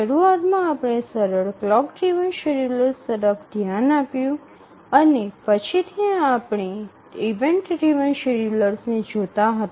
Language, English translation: Gujarati, Initially we looked at simple, even simple clock driven schedulers and later we have been looking at event driven schedulers